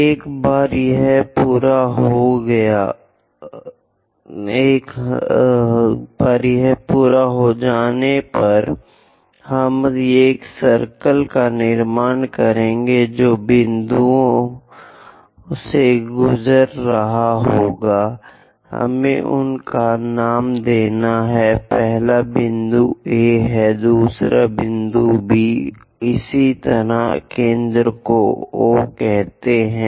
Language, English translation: Hindi, Once it is done, we will construct a circle which pass through both the points, let us name them first point is A, second point is B, let us call this center as O